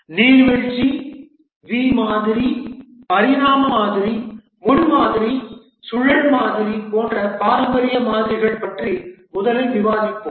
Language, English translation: Tamil, We will first discuss about the traditional models, the waterfall V model evolutionary prototyping spiral model